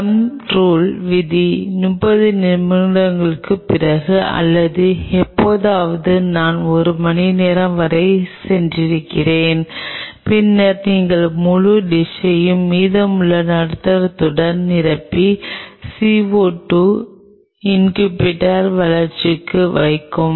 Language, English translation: Tamil, And the thumb rule is after 30 minutes or sometime even I have gone up to one hour you then fill the whole dish with rest of the medium and put it in the CO 2 incubator for growth